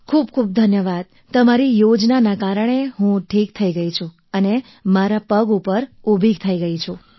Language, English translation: Gujarati, Because of your scheme, I got cured, I got back on my feet